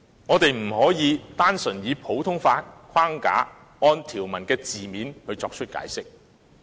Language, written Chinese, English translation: Cantonese, 我們不可以單純以普通法框架，按條文的字面作出解釋。, We cannot simply interpret the Basic Law within the common law framework and on the basis of the literal meanings of the provisions